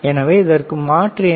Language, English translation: Tamil, So, what is the alternative to this